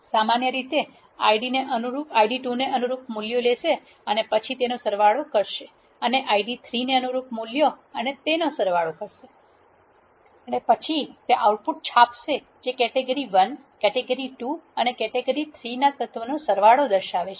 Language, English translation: Gujarati, Similarly it will take the values corresponding to the Id 2 and then sum it up and values corresponding to the Id 3 and sum it up so that it will print the outputs which are indicating the sums of the elements of category 1, category 2 and category 3